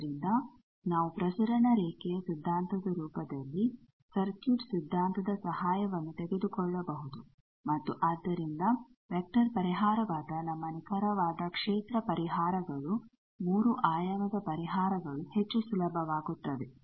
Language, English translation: Kannada, So, the circuit theory in the form of transmission line that theory we can take the help of and so our exact field solutions which is a vector solution three dimensional solution that will become much more easier